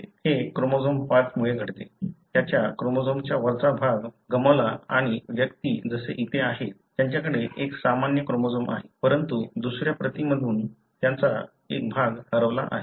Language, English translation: Marathi, It happens because of chromosome 5, lost the upper portion of its chromosome and individuals are like here; they have one normal chromosome, but from the other copy, a part of it is lost